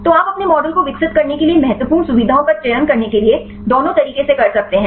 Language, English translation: Hindi, So, you can do both ways for selecting the important features to develop your model